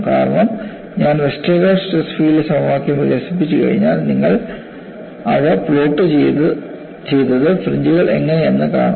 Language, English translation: Malayalam, Because once I develop Westergaard stress field equation, you would plot them and see how the fringes are